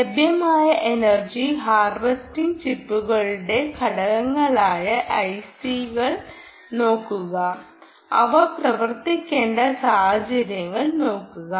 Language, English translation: Malayalam, look up several of these energy harvesting chips, components, i cs which are available and look at the conditions under which they are supposed to work